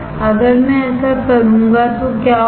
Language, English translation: Hindi, What will happen if I do that